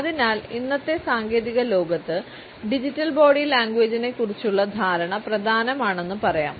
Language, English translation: Malayalam, So, we can conclude by saying that in today’s technological world, the understanding of Digital Body Language is important